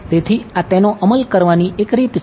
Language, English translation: Gujarati, So, this is this is one way of implementing it